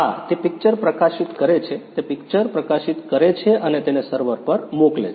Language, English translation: Gujarati, Yeah So, it published the image, it published the image and sent it to the server